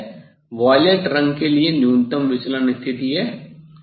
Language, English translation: Hindi, Now, this is the minimum deviation position for the violet colour